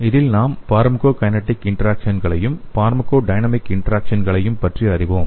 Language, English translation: Tamil, So in this, we will be learning pharmacokinetic interactions as well as pharmacodynamic interactions